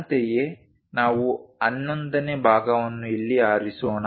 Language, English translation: Kannada, Similarly, let us pick 11th part here